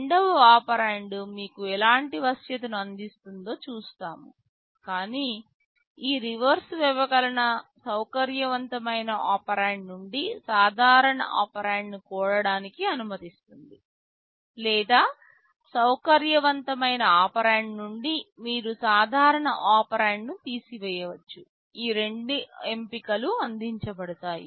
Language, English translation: Telugu, We shall be seeing what kind of flexibility the second operand provides you, but this reverse subtract allows you to add a normal operand from a flexible operand, or from a flexible operand you can subtract a normal operand, both options are provided